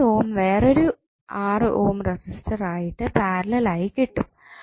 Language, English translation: Malayalam, You get eventually the 6 ohm in parallel with another 6 ohm resistance